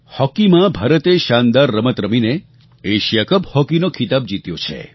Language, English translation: Gujarati, In hockey, India has won the Asia Cup hockey title through its dazzling performance